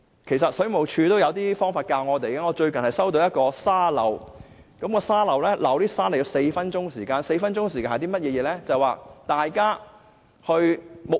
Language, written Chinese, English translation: Cantonese, 事實上，水務署也有教導我們一些方法，我最近收到一個沙漏，是4分鐘的沙漏 ，4 分鐘是甚麼概念呢？, The Water Supplies Department has in fact given us some advice in this respect . I have received an hourglass recently . It is a four - minute hourglass timer